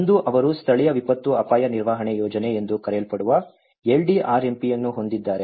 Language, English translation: Kannada, One is they have the LDRMP which is called Local Disaster Risk Management Planning